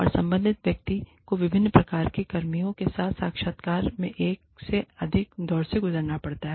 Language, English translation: Hindi, And, have the person concerned go through, more than one rounds of interviews with, diverse range of personnel